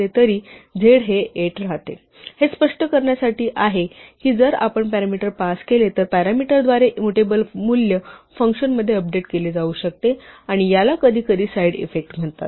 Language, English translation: Marathi, This is just to illustrate that if we pass a parameter, through a parameter a value that is mutable it can get updated in function and this is sometimes called a side effect